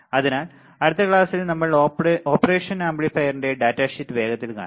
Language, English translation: Malayalam, So, in the next class, in the next class we will see quickly the data sheet of the operational amplifier